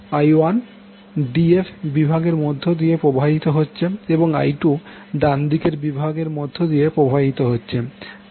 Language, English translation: Bengali, I1 is flowing in the d f segment and I2 is flowing in the right side of the segment